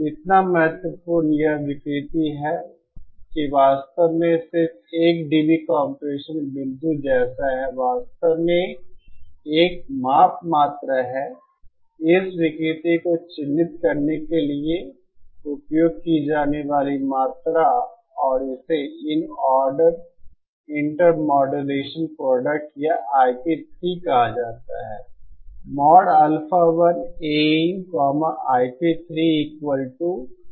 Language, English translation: Hindi, So significant is this distortion that there is actually just like that 1 dB compression point there is actually a measurement quantity, a quantity used to characterize this distortion and it is called the in order intermodulation product or I p 3